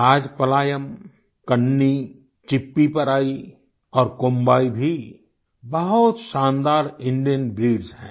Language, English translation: Hindi, Rajapalayam, Kanni, Chippiparai and Kombai are fabulous Indian breeds